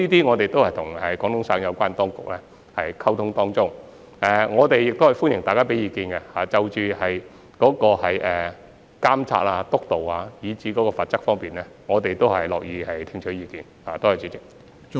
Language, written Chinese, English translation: Cantonese, 我們正就此與廣東省有關當局溝通，而我們亦歡迎大家就監察、督導及罰則方面提出意見，我們是樂意聽取意見的。, We are now liaising with the relevant authorities of Guangdong Province in this regard . We also welcome views on monitoring supervision and penalties . We are happy to listen to Members views